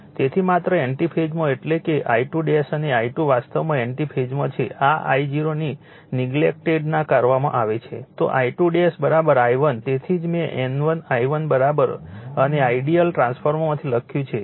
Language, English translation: Gujarati, So, just in anti phase that means, I 2 dash an I 2 actually in anti phase is this I 0 is neglected then then I 2 dash is equal to your I 1 that is why I wrote N 1 I 1 is equal to and from an ideal transformer, right